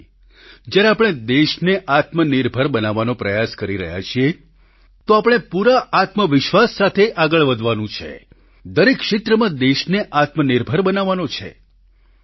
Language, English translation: Gujarati, Today, when we are trying to make the country selfreliant, we have to move with full confidence; and make the country selfreliant in every area